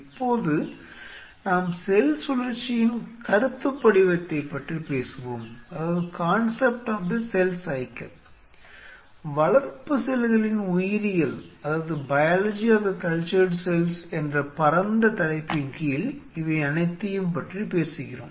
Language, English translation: Tamil, Now let us talk about the concept of cell cycle, this is we are talking about and the broad heading of biology of cultured cells